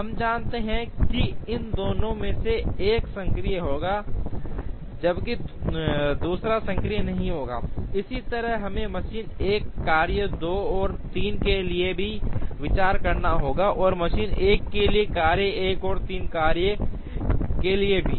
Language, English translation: Hindi, And depending on the order we know that one of these two will be active, while the other will not be active, similarly we have to consider for machine 1 jobs 2 and 3, and also for machine 1 jobs 1 and 3